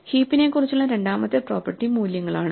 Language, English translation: Malayalam, The second property about the heap is the values themselves